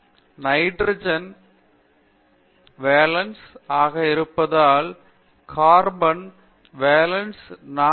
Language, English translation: Tamil, Because nitrogen is a 5 valence, carbon is 4 valence